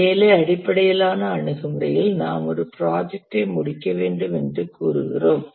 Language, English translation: Tamil, In the work based approach, let's say we need to complete a project